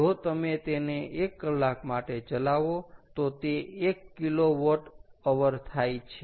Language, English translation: Gujarati, if you run it for one hour, that is one kilowatt hour